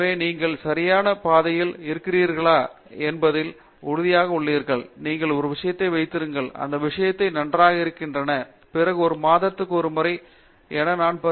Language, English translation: Tamil, So that, you are sure that you are on the right track and once you feel yes, you got a hold on the thing, that things are moving well and then possibly you know I would suggest at least once in a month